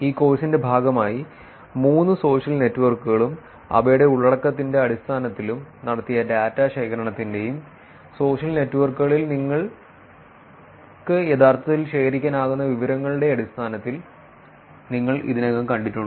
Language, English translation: Malayalam, You know as part of this course, you have already seen all three social networks in terms of their content, in terms of the data collection that is done and information that you can actually collect from the social networks